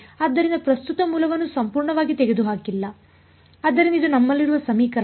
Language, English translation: Kannada, So, it is not that have completely removed the current source, so, this is the equation that we have